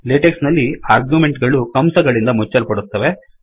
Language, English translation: Kannada, In Latex, the arguments are enclosed by braces